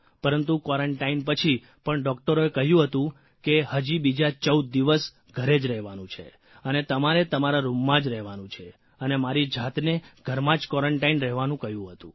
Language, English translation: Gujarati, But even after quarantine, doctors told me to stay at home for 14 days…House quarantine for myself in my room